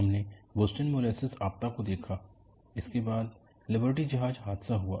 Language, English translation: Hindi, We saw the Boston molasses disaster, which was followed by Liberty ship failure